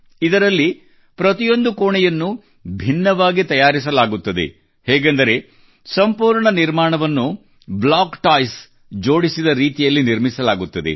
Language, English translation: Kannada, In this, every room will be constructed separately and then the entire structure will be joined together the way block toys are joined